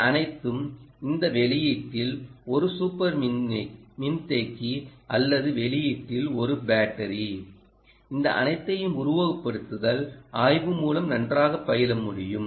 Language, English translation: Tamil, all of this, whether a battery at the output or a super capacitor at the output, all of this can be very well studied by this simulation work